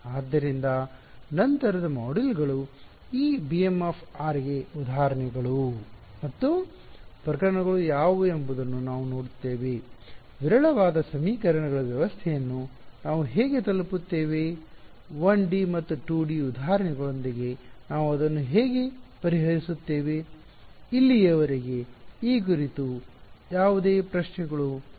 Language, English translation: Kannada, So, subsequent modules we will look at what are the examples and cases for this b b m of r, how will we arrive at a sparse system of equations, how do we solve it with 1 D and 2 D examples ok; any questions on this so far